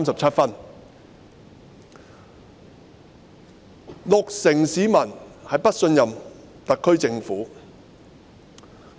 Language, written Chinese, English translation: Cantonese, 此外，六成市民不信任特區政府。, Moreover 60 % of the people do not trust the SAR Government